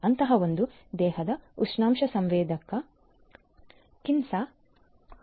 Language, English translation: Kannada, One such body temperature sensor is by Kinsa